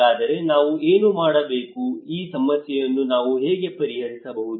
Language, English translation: Kannada, So then what we need to do what, how we can solve this problem